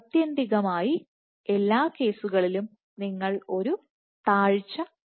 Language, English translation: Malayalam, So, eventually for every case you will see a drop